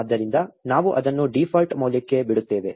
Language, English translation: Kannada, So, we let it the default value